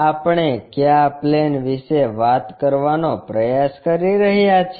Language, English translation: Gujarati, Which plane we are trying to talk about